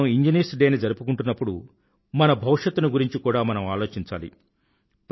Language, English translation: Telugu, While observing Engineers Day, we should think of the future as well